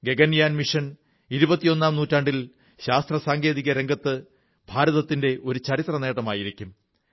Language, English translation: Malayalam, Gaganyaan mission will be a historic achievement in the field of science and technology for India in the 21st century